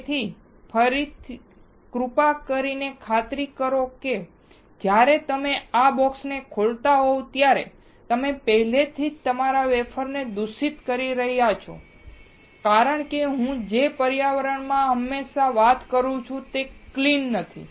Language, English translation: Gujarati, So, again please make sure that, when you are opening the box like this you are already contaminating your wafer because the environment in which I am talking right now, is not clean